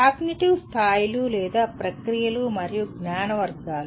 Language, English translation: Telugu, Cognitive levels or processes and knowledge categories